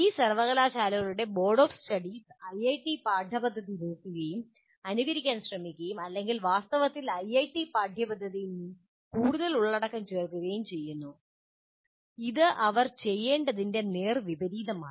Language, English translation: Malayalam, Whenever a curriculum is to be designed, the boards of studies of these universities look at IIT curriculum and try to, in fact, add more content to the IIT curriculum, which is exactly the opposite of what they should be doing